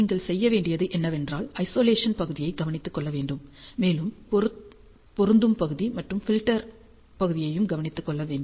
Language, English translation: Tamil, All you have to do is you have to take care of the Isolation part, you have to take care of the matching part, and you have to take care of the filtering part